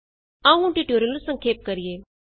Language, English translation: Punjabi, Lets summarize the tutorial